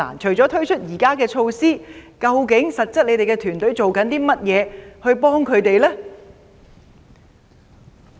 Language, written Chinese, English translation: Cantonese, 除了推出現時的措施外，你的團隊實質做了甚麼幫助他們呢？, Apart from these measures introduced presently what has your team done to practically provide assistance for them?